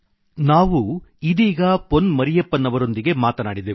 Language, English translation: Kannada, We just spoke to Pon Mariyappan ji